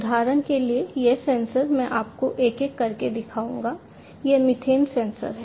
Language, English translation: Hindi, So, for example, for instance, this sensor I will show you one by one, this is the methane sensor